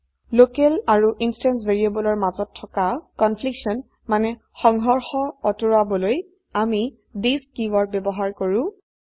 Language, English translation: Assamese, To avoid confliction between local and instance variables we use this keyword